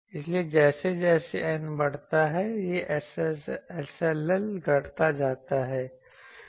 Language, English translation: Hindi, So, as N increases, this SLL decreases